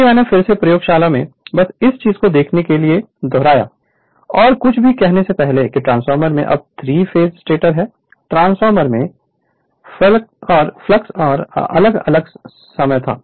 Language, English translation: Hindi, So, I repeat again, see in the laboratory just to see this thing and before saying anything that you have a this is a 3 phase stator know in the transformer the flux was a time varying right